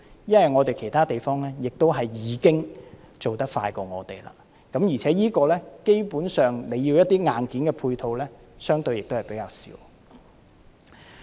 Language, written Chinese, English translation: Cantonese, 因為其他地方已經做得比我們快，而且，基本上，這方面需要的硬件配套相對亦比較少。, Other places have already gone way ahead of us and also the supporting hardware required is relatively not much